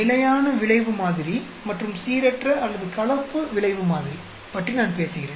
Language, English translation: Tamil, I am talking about fixed effect model, and random or mixed effect model